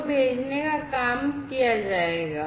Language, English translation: Hindi, So, the sending will be done